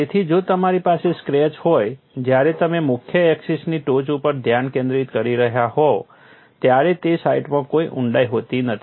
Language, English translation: Gujarati, So, if you have a scratch, when you are having a the tip of the major axis; that is you are concentrating on tip of the major axis, there is no depth in that site